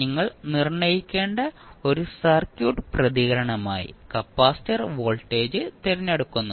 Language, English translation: Malayalam, We have to select the capacitor voltage as a circuit response which we have to determine